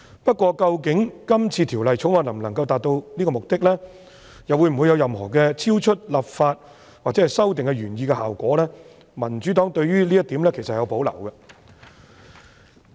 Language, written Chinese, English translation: Cantonese, 不過，究竟《條例草案》能否達致這個目的，又或會否產生任何超出立法或修訂原來希望達致的效果，民主黨對於這一點其實有保留。, However the Democratic Party has reservations as to whether the Bill can actually achieve this purpose or whether it will produce any effect beyond the original intent of the legislative or amendment exercise